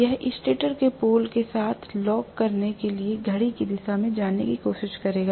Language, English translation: Hindi, It will try to move in the clockwise direction to lock up with the pole of the stator